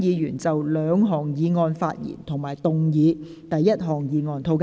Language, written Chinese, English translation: Cantonese, 有意就這兩項議案發言的議員請按下"要求發言"按鈕。, Members who wish to speak on the two motions will please press the Request to speak button